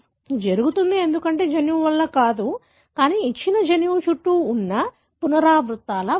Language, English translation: Telugu, It happens because, not because of the gene, but because of the repeats that are flanking a given gene